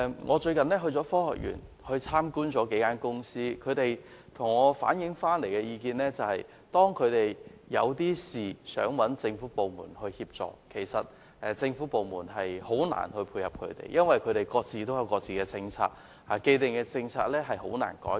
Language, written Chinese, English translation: Cantonese, 我最近到科學園參觀了幾家公司，他們向我反映，每當有事想尋求政府部門協助，當局總是難以配合，因為各部門各有政策，既定政策難以改變。, In a recent visit to several companies in the Science Park I was told that whenever the companies attempted to seek assistance from the Government the relevant government departments invariably found it difficult to make complementary efforts because different departments had their own policies and the established policies could hardly change